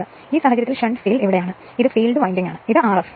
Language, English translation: Malayalam, So, in this case the shunt field is here this is the field winding and this is the R f dash right this is the R f dash